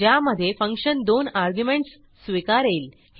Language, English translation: Marathi, The function should multiply the two arguments